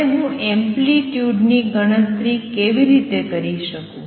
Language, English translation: Gujarati, Now how do I calculate the amplitude